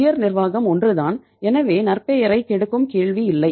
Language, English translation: Tamil, Top management is same so the reputation there is no question of spoiling the reputation